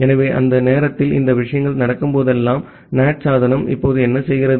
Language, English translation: Tamil, So, whenever these things are being happen during that time, what the NAT device now do